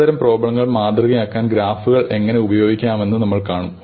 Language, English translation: Malayalam, We will see how we can use them to model certain types of problems